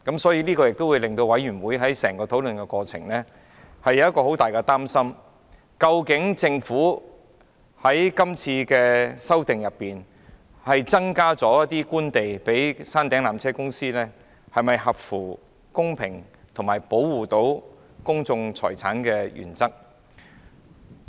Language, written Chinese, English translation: Cantonese, 所以，委員在討論過程中有極大的擔憂，質疑政府藉是次修訂增撥官地予纜車公司，是否合乎公平及保障公眾財產的原則。, For that reason Members had expressed grave concerns during the deliberations and questioned whether the Government has taken this opportunity to allocate more Government land to PTC and whether this was in line with the principle of fairness and safeguarding public properties